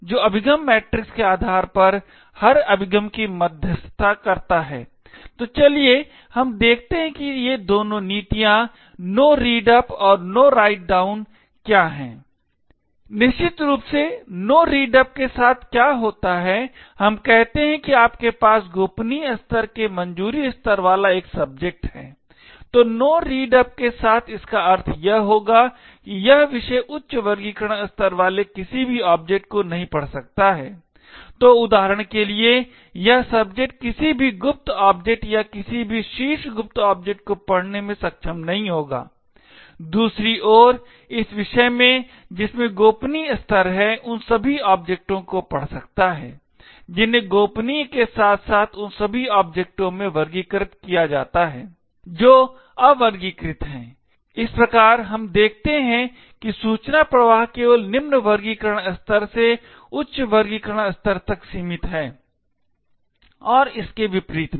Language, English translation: Hindi, So Bell LaPadula model defines three different properties, it defines No Read Up or also known as the Simple Security property or the SS property, it also defines a second property known as No Write Down or the Star property and finally it defines Discretionary security property which mediates every access based on the access matrix, so let us look at what these two policies are No Read Up and No Write down Essentially with No Read up this is what happens, let us say you have a subject with a clearance level of confidential, so with No Read Up it would mean that this subject cannot read any objects having a high classification level, so for example this subject will not be able to read any secret objects or any top secret objects, on the other hand this subject which has a clearance levels of confidential can read all the objects which are classified as confidential as well as all the objects which are unclassified, thus we see that information flow is only restricted from a lower classification level to a higher classification level and not vice versa